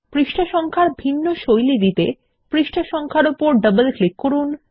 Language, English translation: Bengali, In order to give different styles to the page number, double click on the page number